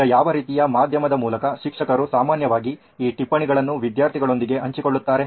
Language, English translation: Kannada, Now, what kind of a medium or how do teachers usually share these notes with students